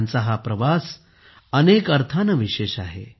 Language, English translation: Marathi, This journey of theirs is very special in many ways